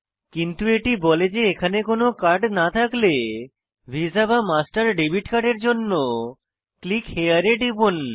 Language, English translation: Bengali, But it says that for any other card not listed here if it happens to be visa or master debit card Click here